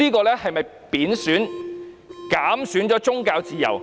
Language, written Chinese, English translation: Cantonese, 這是否貶損或減損宗教自由？, Is the freedom of religion curtailed and reduced?